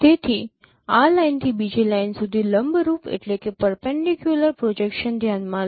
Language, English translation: Gujarati, So consider a perpendicular projections from this line to the other line